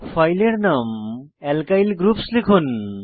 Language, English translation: Bengali, Enter the file name as Alkyl Groups